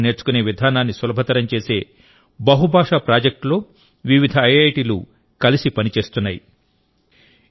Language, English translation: Telugu, Several IITs are also working together on a multilingual project that makes learning local languages easier